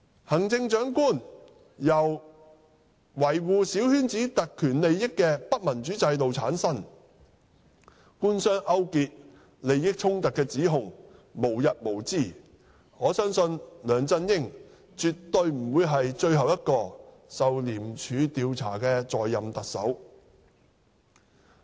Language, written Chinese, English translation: Cantonese, 行政長官由維護小圈子特權利益的不民主制度產生，官商勾結和利益衝突的指控無日無之，我相信梁振英絕不會是最後一個受廉署調查的在任特首。, The Chief Executive is returned by an undemocratic system that protects the privileges and interests of a small circle and allegations of collusion between the Government and business and conflict of interest have become the order of the day . I believe LEUNG Chun - ying is definitely not the last Chief Executive in office investigated by ICAC